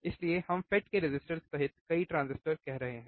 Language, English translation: Hindi, So, that is why we are saying as many transistors including FET's resistors